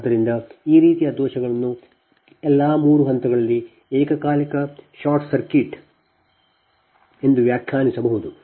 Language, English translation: Kannada, so this type of fault can be defined as the simultaneous short circuit across all the three phases